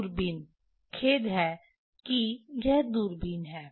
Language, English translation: Hindi, Telescope sorry this is the telescope